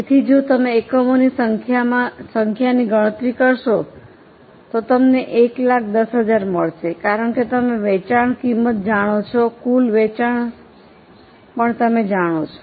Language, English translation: Gujarati, So, if you compute number of units, you will get 1,000, 10,000 because selling price is known to you, total sales is known to you